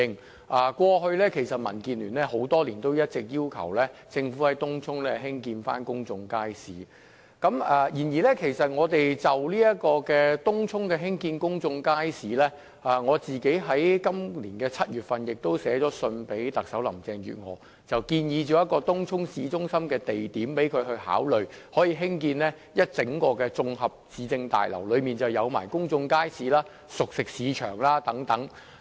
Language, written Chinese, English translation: Cantonese, 其實，過去多年來，民建聯一直要求政府在東涌興建公眾街市，而就於東涌興建公眾街市一事，我在今年7月曾致函特首林鄭月娥，建議一個東涌市中心的地點可供興建一座綜合市政大樓，包括公眾街市及熟食市場等。, Over the past years the Democratic Alliance for the Betterment and Progress of Hong Kong DAB has been calling on the Government to build public markets in Tung Chung . With regard to the construction of public markets in Tung Chung I wrote to the Chief Executive Carrie LAM in July this year and proposed a site in Tung Chung town centre for the construction of a municipal complex to house a public market and cooked food centre and so on